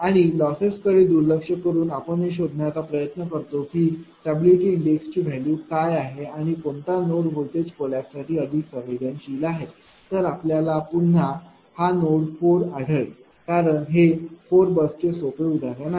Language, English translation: Marathi, And with loss neglected we just try to find out what are this ah what are what are the value of the stability index and which one will be more sensitive voltage collapse you will find again it is node 4, because it is simple ah 4 bus problem